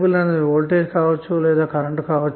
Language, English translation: Telugu, That may be the voltage or current why